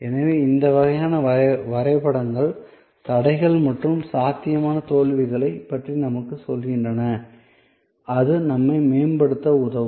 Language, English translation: Tamil, So, this kind of maps tells us about bottleneck as well as possible failures then that will help us to improve